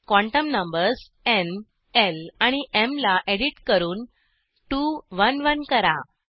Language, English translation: Marathi, Edit n, l and m quantum numbers to 2 1 1